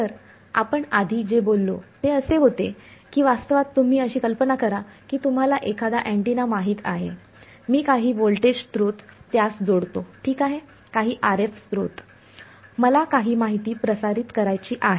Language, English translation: Marathi, So, what we said earlier was that in a realistic scenario imagine you know an antenna I connect some voltage source to it ok, some RF source, I wanted to broadcast some information